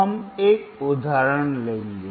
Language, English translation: Hindi, Now we will take an example